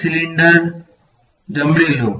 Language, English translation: Gujarati, Take a cylinder right